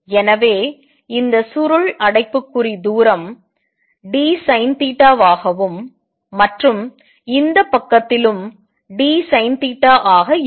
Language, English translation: Tamil, So, this curly bracket distance is going to be d sin theta and on this side also is going to be d sin theta